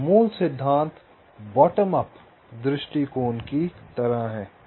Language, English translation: Hindi, so the principle is the same as in the bottom up thing